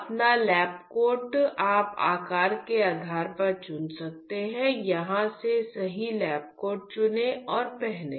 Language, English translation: Hindi, So, you can choose based on the size choose the right lab coat from here pick up and wear your lab coat